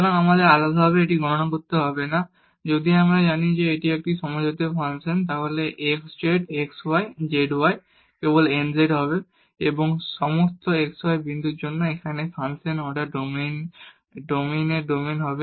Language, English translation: Bengali, So, we do not have to compute this separately, if we know that it is a homogeneous function then x z x y z y will be simply n z and for all x y point in the domain of the order domain of the function here